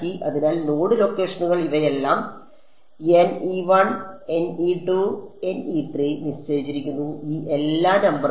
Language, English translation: Malayalam, So, the node locations N 1 N 2 N 3 these are fixed so, these all numbers